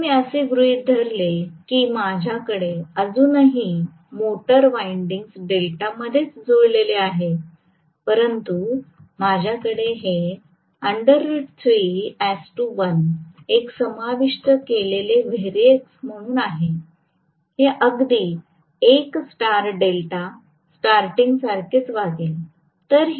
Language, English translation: Marathi, If I assume that I still have the motor winding connected in delta itself, but I am going to have root 3 is to 1 as a variac which is inserted, it will behave exactly similar to a star delta starting right